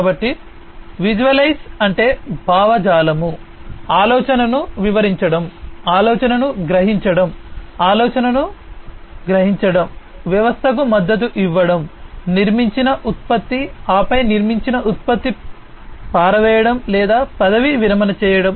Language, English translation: Telugu, So, visualize means ideation, ideation explaining the idea, perceiving the idea, realizing the idea, supporting the system, the product that is built, and then disposing or retiring the product, that is built